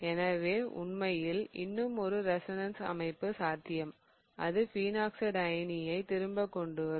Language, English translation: Tamil, So, there is in fact one more resonance structure possible and that will give us back our phenoxide ion